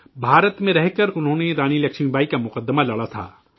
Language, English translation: Urdu, Staying in India, he fought Rani Laxmibai's case